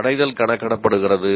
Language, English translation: Tamil, The attainment is computed